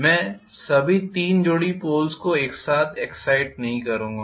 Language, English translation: Hindi, I will not excite all the three pairs of poles simultaneously